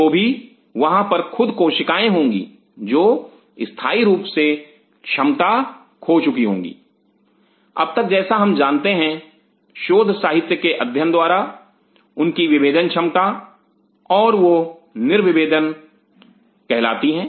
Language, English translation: Hindi, Yet there will be certain cells who will lose their permanently as of now what we know from the literature their differentiation ability and they are called de differentiated cells